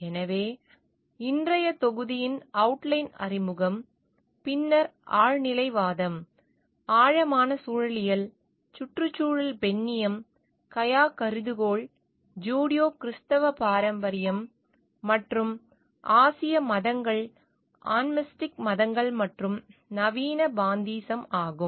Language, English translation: Tamil, So, the outline of the module for today is introduction, then transcendentalism, deep ecology, ecofeminism the Gaia hypothesis, the Judeo Christian tradition, Asian religions, animistic religions and modern pantheism